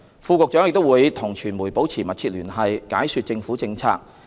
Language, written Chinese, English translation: Cantonese, 副局長亦會與傳媒保持密切聯繫，解說政府政策。, Furthermore Deputy Directors of Bureau maintain close liaison with the media to explain government policies